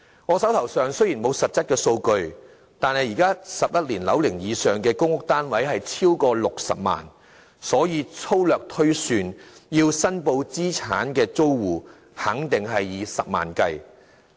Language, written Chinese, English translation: Cantonese, 我手邊雖然沒有實質的數據，但現時11年樓齡以上的公屋單位超過60萬個，所以粗略推算，須申報資產的租戶肯定數以十萬計。, I do not have any substantive figures at hand but since there are over 600 000 PRH units in PRH estates aged 11 or above I am quite sure that roughly speaking hundreds of thousands of households will be required to declare their assets